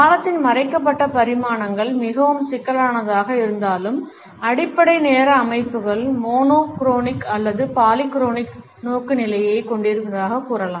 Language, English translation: Tamil, Though the hidden dimensions of time remain to be exceedingly complex, basic time systems can be termed as possessing either monochronic or polychronic orientations